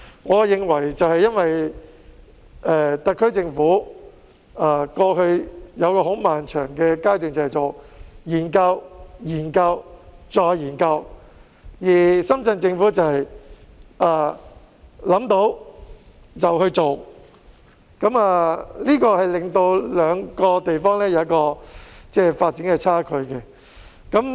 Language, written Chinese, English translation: Cantonese, 我認為是因為特區政府過去有一個很漫長的階段研究、研究、再研究，而深圳政府則想到便去做，這令兩個地方有一個發展差距。, I think it is because the SAR Government has studied again again and again for a very long period of time whereas the Shenzhen government has put their thoughts into action giving rise to a development gap between the two places